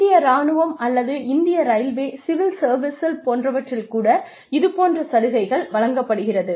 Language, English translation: Tamil, We have this thing, even in the Armed Forces, or in the Indian Railways, for example, the civil services